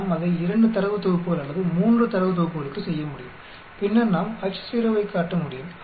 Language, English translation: Tamil, We can perform it for 2 data sets or 3 data sets ANOVA and then we can show the Ho